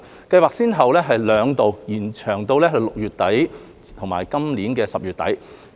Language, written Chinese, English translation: Cantonese, 計劃先後兩度延長6個月至今年10月底。, The scheme has been successively extended by six months twice to end October this year